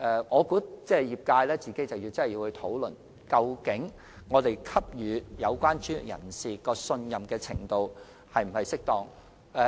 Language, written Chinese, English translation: Cantonese, 我認為業界必須認真討論，我們現時給予有關專業人士的信任程度是否適當。, In my opinion it is imperative for the sector to seriously discuss if our current trust in the relevant professionals is appropriate